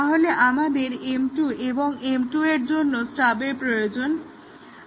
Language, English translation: Bengali, So, when we integrate M 1 with M 2, we need two stubs